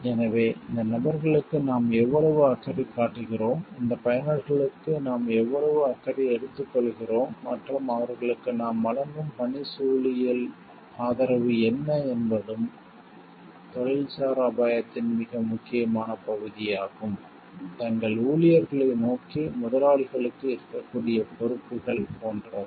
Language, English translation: Tamil, So, how much caring we are for these people, what is the degree of care we take for these users and what is the ergonomic support that we give to them are also very important part of the professional risk, like responsibilities that the employers may have towards their employees